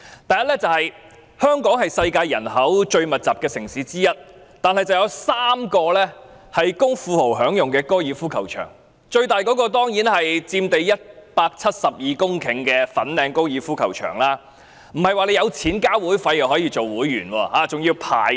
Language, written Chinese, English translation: Cantonese, 第一，香港是世界人口最密集的城市之一，卻有3個供富豪享用的高爾夫球場，最大的當然是佔地172公頃的粉嶺高爾夫球場，但也不是有錢繳交會費便可成為會員，還要排隊。, First Hong Kong is one of the most densely populated cities in the world and yet there are three golf courses for the enjoyment of the rich the biggest being the Fanling Golf Course which occupies 172 hectares of land . But it is not the case that you can become a member so long as you have the money to pay for the membership fee for you have to queue up for it